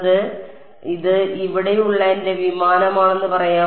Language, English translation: Malayalam, So, let us say this is my aircraft over here